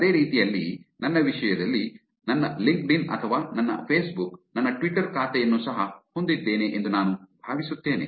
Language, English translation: Kannada, Same way in my case if you go, I think my LinkedIn or my Facebook has my Twitter account also there